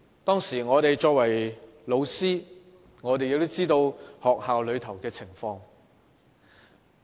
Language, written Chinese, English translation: Cantonese, 當時我們作為老師的，都知道學校內的情況。, At that time we teachers knew the situation in schools